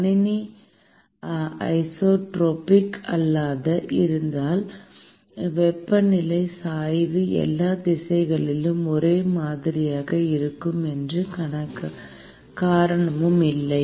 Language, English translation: Tamil, Suppose if the system is non isotropic, there is no reason why the temperature gradient has to be same in all directions